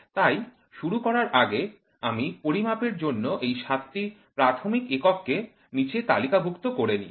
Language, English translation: Bengali, So, before that let me list down these seven basic units for measurements